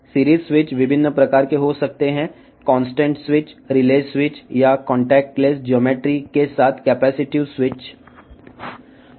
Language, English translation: Telugu, The series switch can be of various types the contact switch relay switch or the capacitive switch with contact less geometry